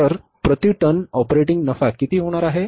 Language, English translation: Marathi, So the operating profit per ton is going to be how much